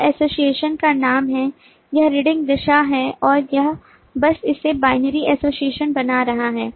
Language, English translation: Hindi, this is the name of the association and this is the reading direction and it is simply creating it